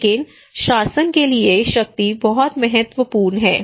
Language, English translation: Hindi, But for the governance power is very important